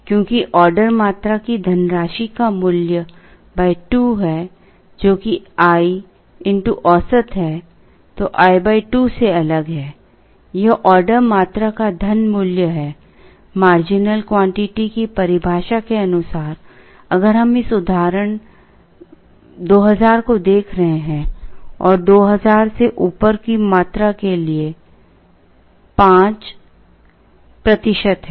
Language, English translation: Hindi, This is the money value of the quantity order, by the very definition of a marginal quantity, if we are looking at this case 2000 and 5 percent for a quantity above 2000